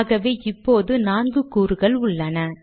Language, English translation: Tamil, So I have four components